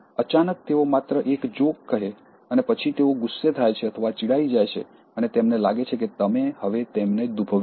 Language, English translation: Gujarati, Suddenly, they just share a joke and then they get angry or they sulk, and they feel that you have offended now